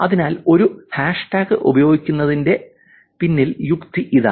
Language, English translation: Malayalam, So, that is the logic behind using a hashtag